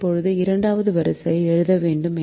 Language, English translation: Tamil, now we have to write this row